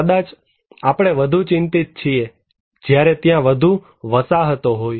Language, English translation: Gujarati, Maybe, we are more concerned, when there are more settlements are there